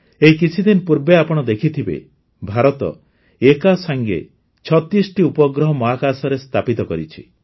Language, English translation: Odia, Friends, you must have seen a few days ago, that India has placed 36 satellites in space simultaneously